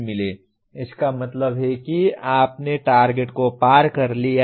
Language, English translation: Hindi, That means you have exceeded the target